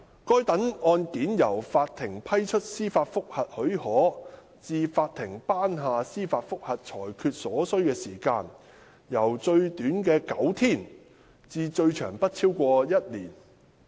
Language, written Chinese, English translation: Cantonese, 該等案件由法庭批出司法覆核許可至法庭頒下司法覆核裁決所需時間，由最短的9天至最長不超過一年。, For such cases the time taken from the Courts granting of leave for judicial review to its handing down of judgments on the judicial review ranged from nine days the shortest to no more than one year the longest